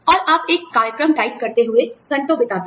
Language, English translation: Hindi, And, you spend hours, typing a program